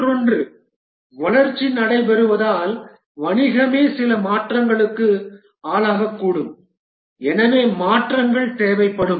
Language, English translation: Tamil, The other is that as the development takes place, the business itself might undergo some change and therefore changes will be required